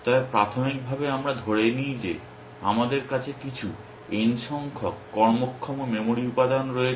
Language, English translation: Bengali, But initially let us assume that we have some capital N number of working memory elements